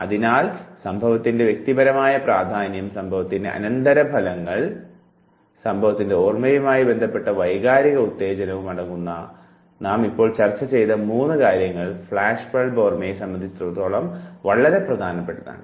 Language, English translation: Malayalam, Therefore, the three things which we discussed right now the personal significance of the event the consequence of the event and then the emotional arousal attached to the memory of the event, these three things become extremely important as for as flashbulb memory is concerned